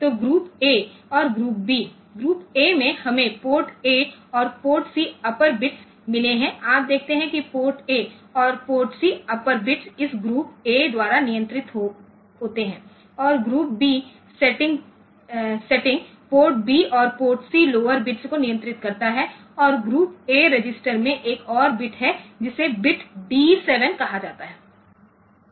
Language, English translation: Hindi, So, group A and group B, in group A, we have got port A and port C upper bits ok, you see the port A and port C upper bits are control by this group A setting and group B setting controls port B and port C is lower bits and there is another bit in the group A register which is called bit D7